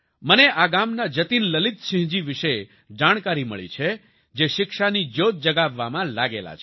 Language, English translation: Gujarati, I have come to know about Jatin Lalit Singh ji of this village, who is engaged in kindling the flame of education